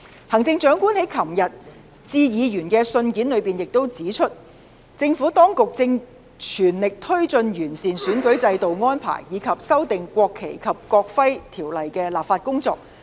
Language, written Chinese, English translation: Cantonese, 行政長官在昨天致議員的信件裏指出，政府當局正全力推進完善選舉制度的安排，以及修訂《國旗及國徽條例》的立法工作。, In her letter addressed to Legislative Council Members yesterday the Chief Executive also pointed out that the Administration was working vigorously on enhancing the electoral system and arrangements and the legislative amendments to the National Flag and National Emblem Ordinance